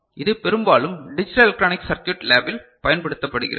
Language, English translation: Tamil, It is often used in the digital electronic circuit lab